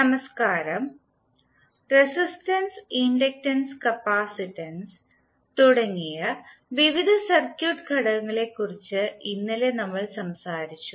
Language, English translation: Malayalam, Namashkar, yesterday we spoke about the various circuit elements like resistance, inductance and capacitance